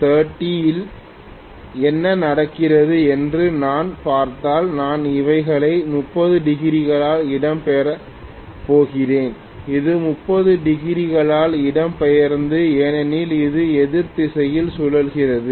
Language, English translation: Tamil, If I look at what happens at omega T equal to 30, I am going to have these displaced by 30 degrees and this also displaced by 30 degrees because it is rotating in opposite direction